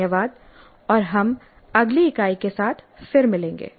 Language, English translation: Hindi, Thank you and we'll meet again with the next unit